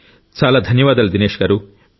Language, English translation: Telugu, Many thanks Dinesh ji